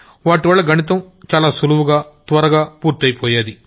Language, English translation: Telugu, In which mathematics used to be very simple and very fast